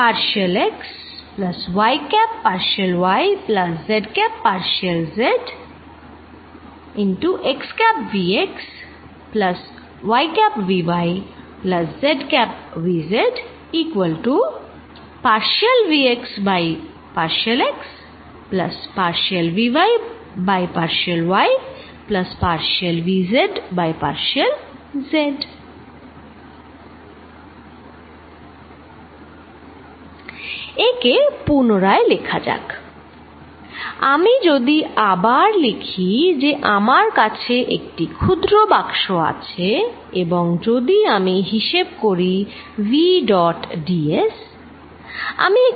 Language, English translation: Bengali, Let us rewrite it, if I rewrite it I have this box very small box and if I calculate v dot ds